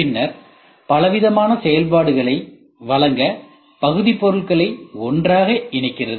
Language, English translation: Tamil, Then connecting the units together to provide a variety of functions